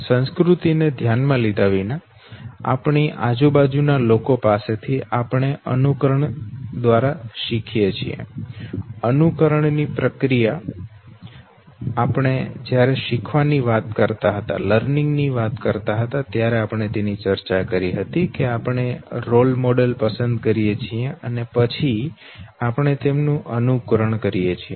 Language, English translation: Gujarati, Second irrespective of our culture it is the people around us, from whom we learn through the process of imitation, imitation now we had discussed when we were talking about learning know, that we select role models and then we imitate the our models okay